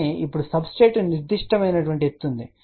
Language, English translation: Telugu, But now there is a certain height of the substrate